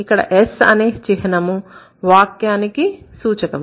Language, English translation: Telugu, S is the symbol that stands for sentence